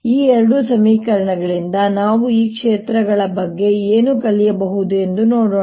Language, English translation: Kannada, let us see what we can learn about these fields from these two equations